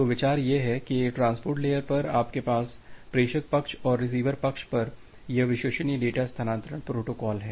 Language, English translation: Hindi, So, the idea is there that at the transport layer, you have this reliable data transfer protocol at the sender side and the receiver side